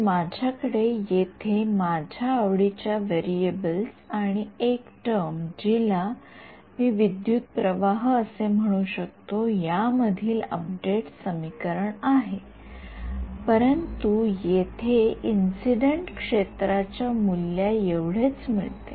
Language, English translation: Marathi, So, I have my update equations in the variables of my choice plus one term over here which I can interpret as a current, but it is coming exactly as the value of incident field over here